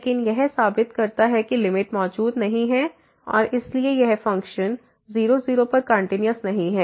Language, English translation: Hindi, But this proves that the limit does not exist and hence that function is not continuous at